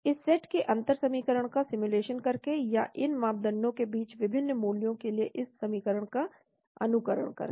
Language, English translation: Hindi, By simulating this set of differential equation or simulating this equation for different values of these parameters